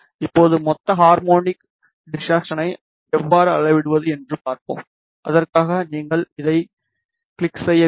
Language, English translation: Tamil, Now, we will see how to measure the total harmonic distortion, for that you have to go to measure click on it go to more